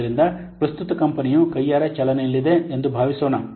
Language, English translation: Kannada, So a company currently it is supposed it is running it manually